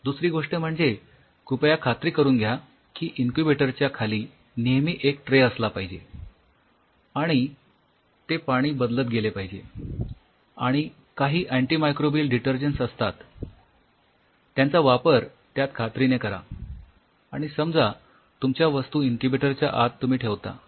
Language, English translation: Marathi, Second thing please ensure that the there is always a tray underneath the incubator, that water is being changed and there are certain antimicrobial detergents which are present you please add in that ensure that very essential, and suppose you are placing your stuff inside the incubator